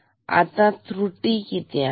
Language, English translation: Marathi, So, how much error will we have